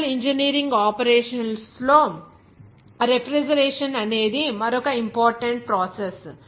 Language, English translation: Telugu, Refrigeration is another important process in chemical engineering operations